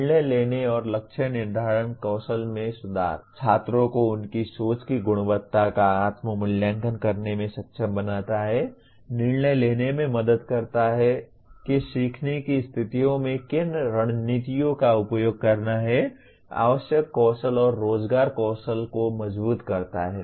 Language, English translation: Hindi, Improves decision making and goal setting skills; Enables students to self assess the quality of their thinking; Helps to decide which strategies to use in which learning situations; Strengthens essential skills and employability skills